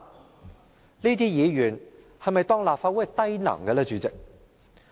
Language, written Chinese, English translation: Cantonese, 主席，這些議員是否當立法會是低能呢？, President do these Members think that this Council is imbecile?